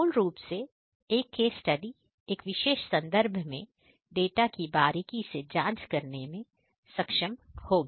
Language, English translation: Hindi, So, basically a case study would enable one to closely examine the data within a particular context